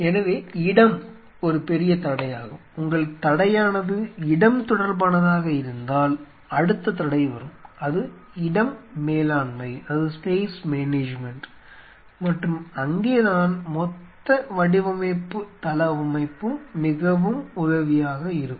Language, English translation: Tamil, So, space is a big constraint and the next constraint come, if your space is a constraint related to it is space management and that is where the whole design layout comes very handy space management